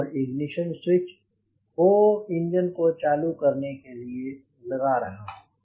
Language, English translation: Hindi, now i put the ignition switch back to off